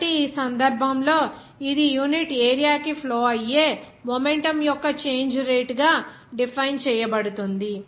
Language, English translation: Telugu, So, in this case it is defined as the rate of change of momentum flowing through per unit area